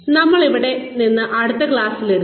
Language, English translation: Malayalam, And, we will take it from here, in the next class